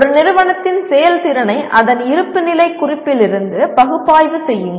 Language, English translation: Tamil, Analyze the performance of an organization from its balance sheet